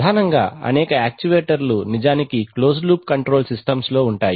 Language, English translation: Telugu, Mainly because of the fact that, several actuators are actually closed loop control systems themselves